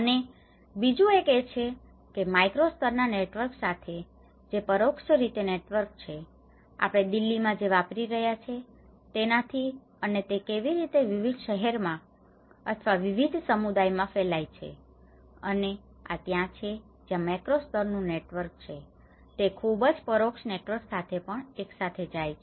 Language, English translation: Gujarati, And the second one is with a macro level networks which has an indirect networks, how from what we are using in Delhi and how it is spreads to different cities or different communities across and this is where the macro level networks, it goes along with a very different indirect networks as well